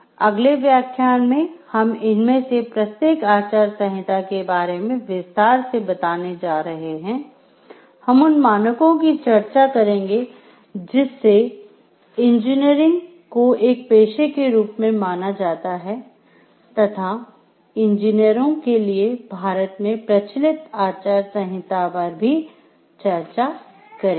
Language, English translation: Hindi, In the next lecture we are going to elaborate on each of these codes of ethics, we will discuss scales to related to that and the engineering as a professional practice and, also we will discuss the code of ethics for engineers as stated in India